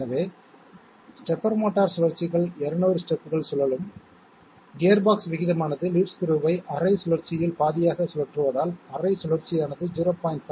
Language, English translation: Tamil, So stepper motor rotations 200 steps will be rotating, as the gearbox ratio is half rotating the lead screw by half rotation, therefore half rotation will amount to 0